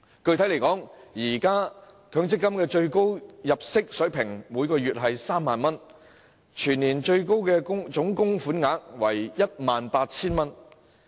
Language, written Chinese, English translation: Cantonese, 具體而言，現時強積金的最高入息水平為每月3萬元，全年最高總供款為 18,000 元。, Specifically the maximum level of income under the MPF scheme now stands at 30,000 a month which means that the total maximum contribution is 18,000 per annum